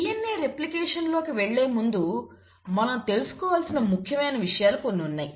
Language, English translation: Telugu, So before I get into DNA replication, there are few things which is very important to know